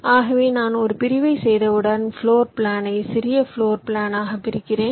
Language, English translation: Tamil, once i do a dissection, i divide the floor plan into two smaller floor plans